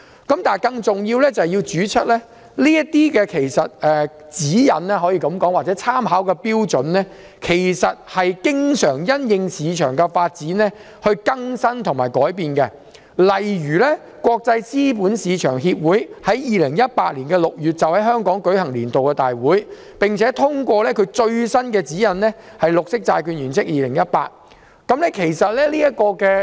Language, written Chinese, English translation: Cantonese, 更重要的是，這些指引或參考標準其實經常會因應市場發展而更新及修訂，例如國際資本市場協會於2018年6月在香港舉行年度大會，並且通過其最新指引——《綠色債券原則2018》。, More importantly these guidelines or reference standards are frequently updated and revised in the light of market developments . For example ICMA held its annual conference in Hong Kong in June 2018 during which its latest guideline GBP 2018 was endorsed